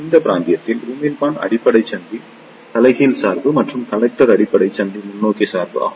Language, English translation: Tamil, In this region, emitter base junction is reverse bias and collector base junction is forward bias